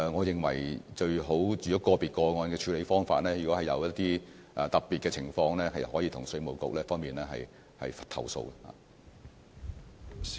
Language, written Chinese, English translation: Cantonese, 如果個別個案的處理方法有一些特別的情況，可以向稅務局作出投訴。, Complaints may be lodged with IRD if there are any specific problems with the handling of individual cases